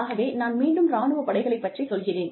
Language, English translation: Tamil, So again, I take the example of the armed forces